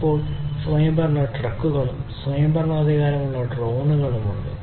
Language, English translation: Malayalam, We now have autonomous trucks, autonomous drones